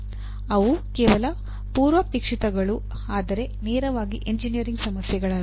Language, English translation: Kannada, They will only prerequisites but not directly engineering problems